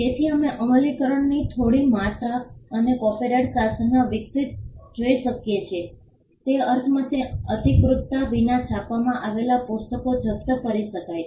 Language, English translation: Gujarati, So, we can see some amount of enforcement also evolving in the copyright regime in the sense that books that were printed without authorisation could be confiscated